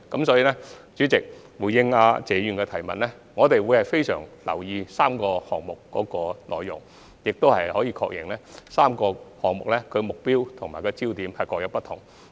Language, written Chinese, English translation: Cantonese, 主席，回應謝議員的問題，我們會非常留意3個項目的內容，亦確認3個項目的目標和焦點各有不同。, President in response to Mr TSEs question we will pay attention to the contents of the three studies and we also confirm that they have different objectives focuses